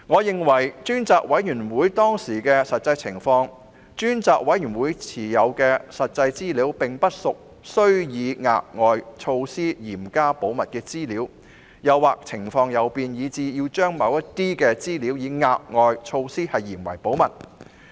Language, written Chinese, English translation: Cantonese, 根據當時的實際情況，我認為專責委員會持有的實際資料並不屬於須以額外措施嚴加保密的資料，當時情況亦未有任何變化，以致必須將某些資料以額外措施嚴加保密。, In the light of the actual situation back then I did not consider that any additional measure was necessary for keeping the actual information available to the Select Committee back then in strict confidence . Furthermore there was no change in the situation back then which warranted additional measures to keep any information in strict confidence